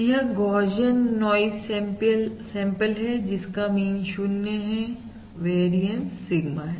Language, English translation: Hindi, Alright, because this is a Gaussian noise sample of mean 0 and variance Sigma square